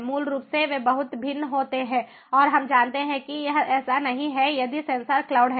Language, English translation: Hindi, basically, they differ a lot and ah, we know it is not like sens[or] if sensor cloud is there, we do not need cloud